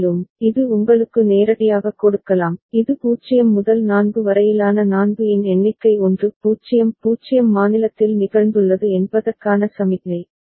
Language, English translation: Tamil, And, so this can directly give you, this signalling that a count of 4 that is from 0 to 4 that has taken place 1 0 0 state has occurred right